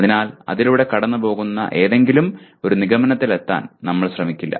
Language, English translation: Malayalam, So we will not even attempt to kind of make a try to come to some kind of a conclusion going through that